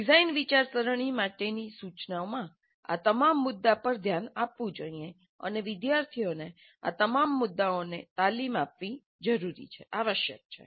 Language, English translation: Gujarati, So instruction for design thinking must address all these issues and train the students in all of these issues